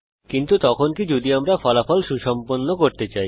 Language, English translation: Bengali, But what if we want the result to be rounded off